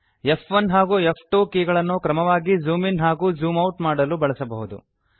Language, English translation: Kannada, You can also use F1 and F2 keys to zoom in and zoom out, respectively